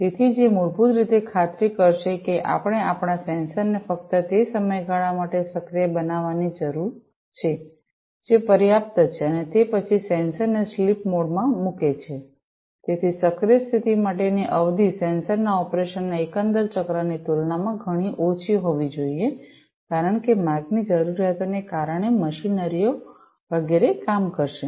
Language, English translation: Gujarati, So, which basically will ensure that, we need to make our sensors active for only that duration of time, which is sufficient and thereafter put the sensor in the sleep mode; so the duration for the active mode will have to be much less compared to the overall cycle of the operation of the sensor, because of the requirements with the way, the machineries are going to work etcetera